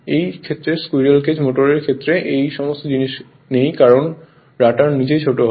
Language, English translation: Bengali, In this case of in that case of squirrel cage motor all these things are not there because rotor itself is shorted